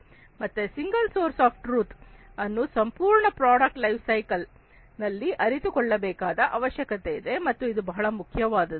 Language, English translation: Kannada, So, single source of truth is needed to be realized across the whole product life cycle, and this is very important